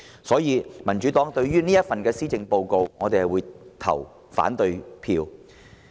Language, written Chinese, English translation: Cantonese, 所以，民主黨將對這份施政報告投反對票。, For that reason the Democratic Party will vote against this Policy Address